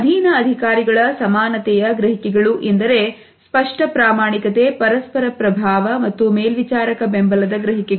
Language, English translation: Kannada, In terms of subordinate’s perceptions of their likeability apparent sincerity, interpersonal influence and perceptions of supervisor support